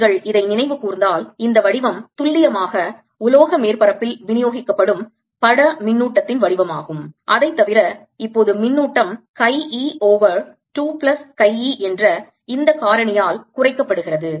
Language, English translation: Tamil, the form of this is precisely the form of image charge distributed over metallic surface, except that now the charge is reduced by this factor: chi e over two plus chi e